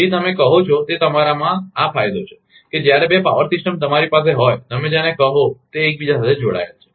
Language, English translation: Gujarati, So, this is the advantage of your what you call that when two power systems are your, your what you call that interconnected